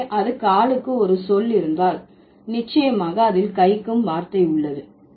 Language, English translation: Tamil, So, if it has a word for the food, then for sure it has a word for the hand